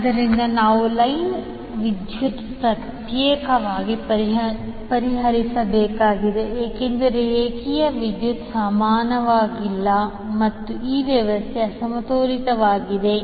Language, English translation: Kannada, So that means we have to solve for line current separately because the line currents are not equal and this system is unbalanced